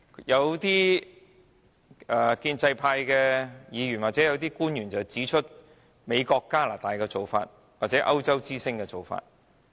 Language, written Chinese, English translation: Cantonese, 有建制派議員或官員提到美國、加拿大或歐洲之星的做法。, Some pro - establishment Members or public officers have mentioned the practice adopted by the United States Canada or Eurostar